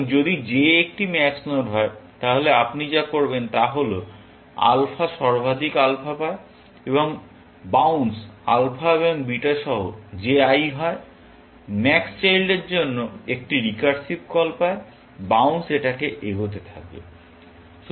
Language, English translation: Bengali, So, if j is a max node, then what you do is; alpha gets maximum of alpha, and a recursive call for j i, the highest child, with the bounce alpha and beta; the bounce keep getting propagated